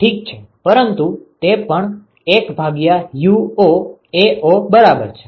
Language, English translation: Gujarati, Ok, but that is also equal to 1 by Uo times Ao right